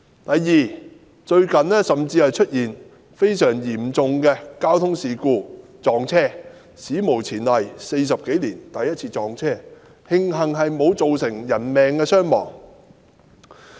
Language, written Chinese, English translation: Cantonese, 第二，最近甚至出現非常嚴重的事故，通車40多年來首次撞車，慶幸沒有造成人命傷亡。, Second a most serious incident has even occurred recently as a train collision has taken place the first time in the past four decades since the commissioning of MTR though luckily no casualties were resulted